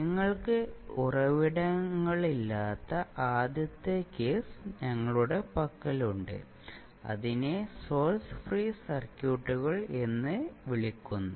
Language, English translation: Malayalam, So we have the first case where you do not have any source, so called as source free circuits